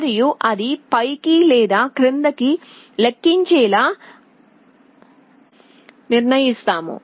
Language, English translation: Telugu, And how we decide whether it is going to count up or down